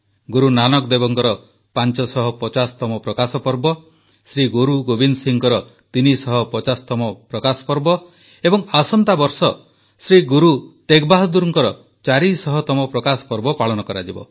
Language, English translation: Odia, 550th Prakash Parva of Guru Nanak Dev ji, 350th Prakash Parv of Shri Guru Govind Singh ji, next year we will have 400th Prakash Parv of Shri Guru Teg Bahadur ji too